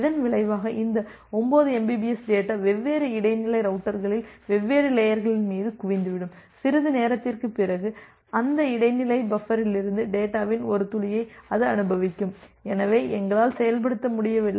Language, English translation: Tamil, And as a result this 9 mbps of data that will get accumulated over the different layers of buffers at different intermediate routers; and after some time it will experience a drop of data from those intermediate buffers, and this the reason that we are not able to implement